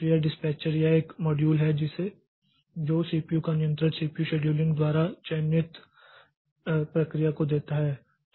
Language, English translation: Hindi, So, this dispatcher, so this is the module that gives control of CPU to the process selected by the CPU schedule